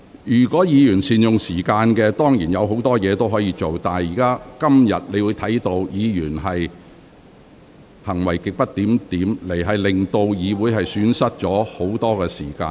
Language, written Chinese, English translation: Cantonese, 如果議員早前能善用時間，本會當然會有時間處理其他事情，但今天部分議員行為極不檢點，令議會損失很多時間。, Had Members made good use of the time earlier certainly we would have time to deal with other business . But the behaviours of some Members were grossly disorderly today and this has wasted much time of this Council